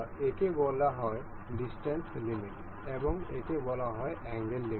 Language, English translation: Bengali, the This is called distance limit and this is called a angle limit